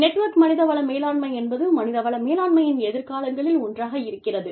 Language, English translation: Tamil, I told you, that network human resource management is, one of the futures of human resource management